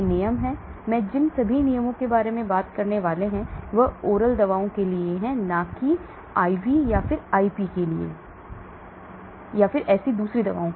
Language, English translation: Hindi, This rule is, all the rules I am going to talk about is for oral drug and not for IV or IP and so on